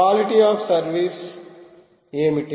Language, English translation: Telugu, what about quality of service